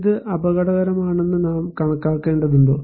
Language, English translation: Malayalam, Should we consider this is as risky